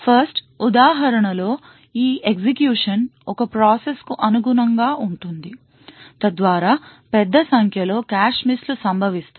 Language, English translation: Telugu, The 1st execution which in this example corresponds to the process one would thus be very slow due to the large number of cache misses that occurs